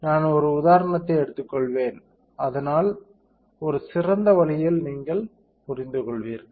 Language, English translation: Tamil, So, I will take an example, so that you understand in a better way